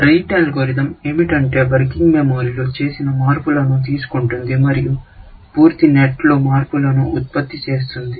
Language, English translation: Telugu, What the Rete algorithm does is that takes changes into working memory and produces changes in a complete set